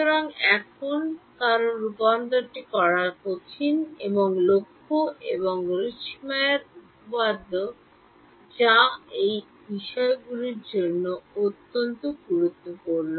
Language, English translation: Bengali, So, now, because convergence is hard to do, here is the theorem by Lax and Richtmyer which is very crucial in these things